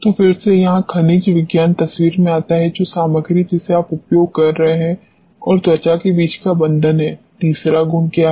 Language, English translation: Hindi, So, this again mineralogy comes in the picture the bond between the material which you are using and the skin, what is the third property